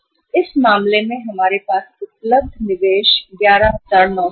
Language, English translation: Hindi, So in this case, now available investment with us is 11,937